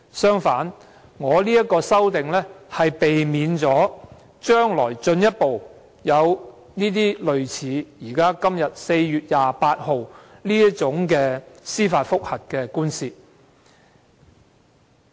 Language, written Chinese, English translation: Cantonese, 相反，我的修正案旨在避免將來會進一步出現類似在4月28日頒布判詞的這類司法覆核訴訟。, On the contrary my amendment seeks to pre - empt the further occurrence of such judicial review proceedings as the one on which a Judgment was delivered on 28 April